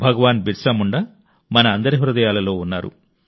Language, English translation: Telugu, Bhagwan Birsa Munda dwells in the hearts of all of us